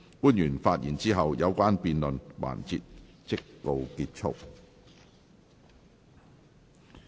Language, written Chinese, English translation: Cantonese, 官員發言後，有關的辯論環節即告結束。, After the public officers have spoken the debate session will come to a close